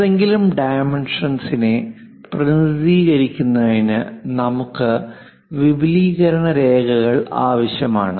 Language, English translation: Malayalam, If to represent any dimensions we require extension lines